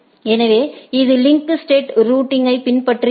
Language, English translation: Tamil, So, this follows the link state routing